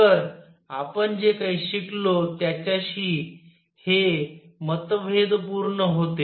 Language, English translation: Marathi, So, this was also at odds with whatever we had learnt